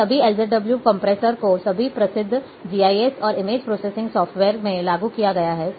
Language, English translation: Hindi, All these LZW compressions have been implemented in all well known GIS and image processing softwares